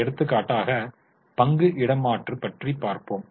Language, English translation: Tamil, For example, if there is a share swap